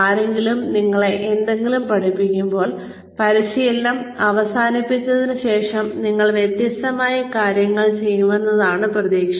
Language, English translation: Malayalam, When, somebody teaches you something, the expectation is that, you will do things differently, after that training is over